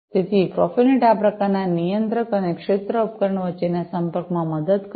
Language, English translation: Gujarati, So, profinet will help in this kind of communication between the controller and the field devices